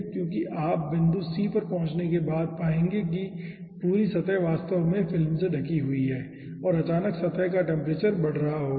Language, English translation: Hindi, okay, because you will be finding out, after reaching at point c, the whole surface is actually covered by ah, ah film and suddenly the temperature of the surface will be increasing